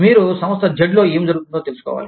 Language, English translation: Telugu, You will need to know, what is happening in Firm Z